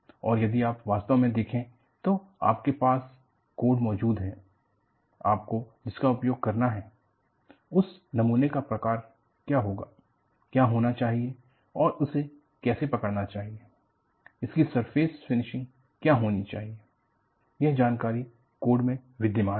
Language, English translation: Hindi, And, if you really go, you have codes exist on, what should be the type of the specimen that, you will have to use and how it should be graved, what should be the surface ridge that detailed codes exist